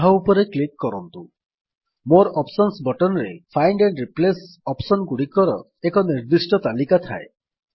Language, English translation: Odia, Click on it The More Options button contains a list of specific Find and Replace options